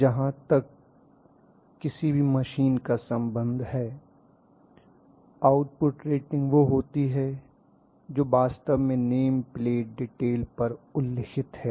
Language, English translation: Hindi, So as far as any machine is concerned the output rating is the one which is actually mentioned on the name plate detail